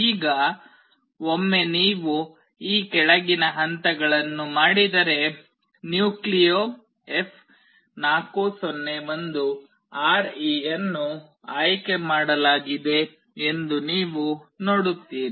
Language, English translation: Kannada, Now, once you do the following steps you will see that NucleoF401RE is selected